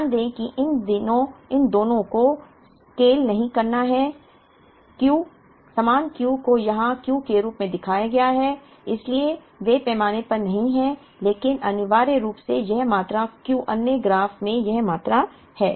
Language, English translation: Hindi, Note that these two are not to scale this is Q; same Q is shown here as Q so they are not to scale but essentially this quantity Q becomes this quantity in the other graph